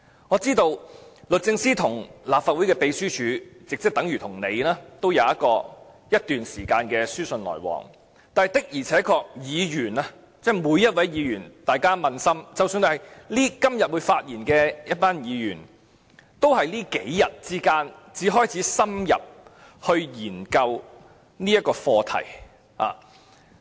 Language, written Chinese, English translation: Cantonese, 我知道律政司與立法會秘書處已有一段時間的書信往來，但我想請每位議員撫心自問，即使是今天會發言的一群議員，他們也是在這數天才開始深入研究這項課題。, I know that the Department of Justice has been corresponding with the Legislative Council Secretariat for a certain period of time but I would like to ask each Member to be honest with themselves . Even the Members who have spoken on the motion today did not start probing into this issue until as recently as a few days ago